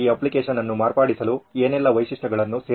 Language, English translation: Kannada, What all features can be added to modify this app